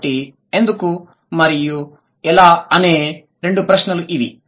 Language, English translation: Telugu, So, these are the two questions why and how